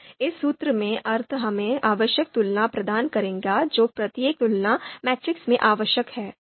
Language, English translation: Hindi, So this will give us the this formula in the sense will give us the necessary comparisons that are required in each comparison matrix